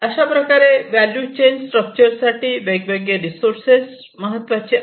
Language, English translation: Marathi, So, these are the different types of resources, these are very important in the value chain structure